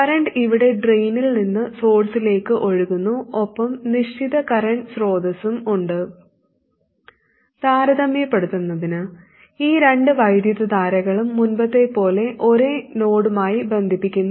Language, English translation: Malayalam, The current is flowing here from drain to source and the fixed current source is there and to make the comparison we tie these two currents to the same node